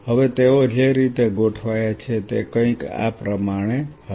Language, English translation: Gujarati, Now the way they are arranged is something like this